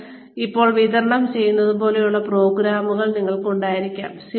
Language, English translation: Malayalam, You could have programs like the one, that I am delivering now